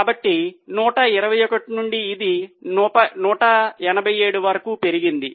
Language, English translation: Telugu, So, from 128, it has gone up to 187